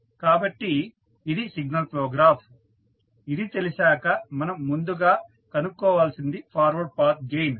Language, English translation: Telugu, So, this is the signal flow graph if you get the first thing which you have to find out is forward path gain